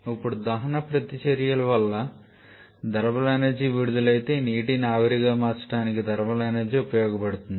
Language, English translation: Telugu, Some liquid commonly is water now because of the combustion reactions whatever thermal energy is released that thermal energy is used to convert this water to steam